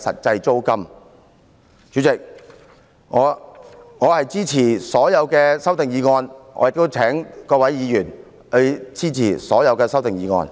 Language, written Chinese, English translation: Cantonese, 主席，我支持所有修正案，亦請各位議員支持這些修正案。, President I support all the amendments and call on Members to support these amendments